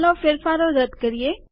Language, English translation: Gujarati, Let us undo this change